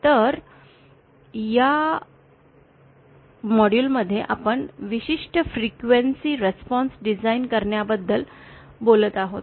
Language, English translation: Marathi, So, in this module we shall be talking about designing particular frequency response